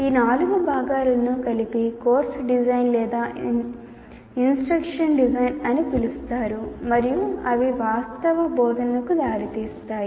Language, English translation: Telugu, These four will lead to either I call it course design or instruction design and it leads to actual instruction